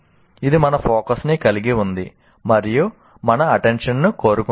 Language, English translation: Telugu, It has our focus and demands our attention